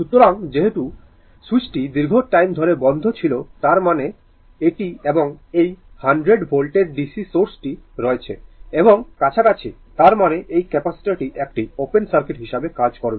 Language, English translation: Bengali, So, as switch was closed for a long time that means, to this and this 100 volt DC source is there, this is close; that means, this capacitor will act as an open circuit right